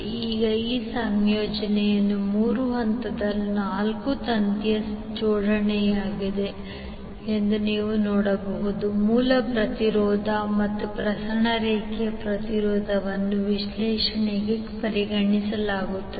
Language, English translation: Kannada, So now you can see this particular combination is three phase four wire arrangement were the source impedance as well as the transmission line impedance is considered for the analysis